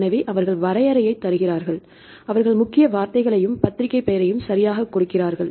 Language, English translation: Tamil, So, they give the definition, they give the keywords and the journal name right